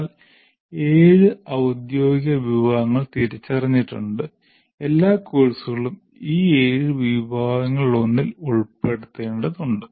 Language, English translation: Malayalam, These are the officially the categories that are identified, the seven categories and all courses will have to be put under one of these seven categories